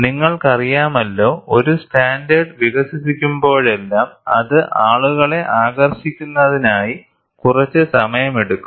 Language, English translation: Malayalam, You know, whenever a standard is developed, for it to percolate down to people, it takes some time